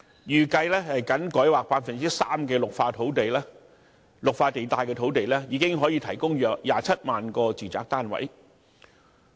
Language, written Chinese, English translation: Cantonese, 預計僅改劃 3% 的綠化地帶土地，已可提供約27萬個住宅單位。, It is estimated that about 270 000 residential units can be provided by rezoning only 3 % of the land in green belt areas